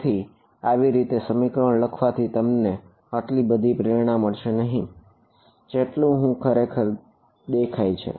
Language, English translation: Gujarati, So, writing this expression like this you do not get much intuition of what is it actually look like